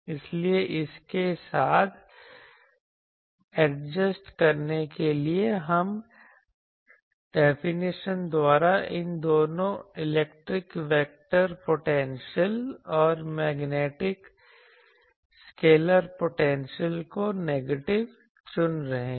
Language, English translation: Hindi, So, to adjust with that we are taking both these electric vector potential and this magnetic scalar potential, we are choosing by definition negative